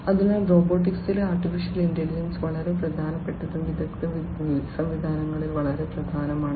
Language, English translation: Malayalam, So, the in AI in robotics is very important and in expert systems